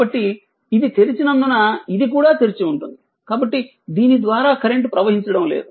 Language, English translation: Telugu, So, as as this is open, this is also open, so no current flowing through this